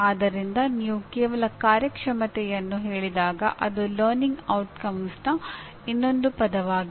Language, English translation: Kannada, So somehow when you merely say performance it is like another word for learning outcome, okay